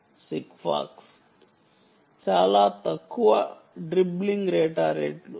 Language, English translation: Telugu, sigfox, very low dribbling data rates